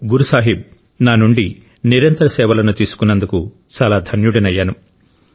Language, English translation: Telugu, I feel very grateful that Guru Sahib has granted me the opportunity to serve regularly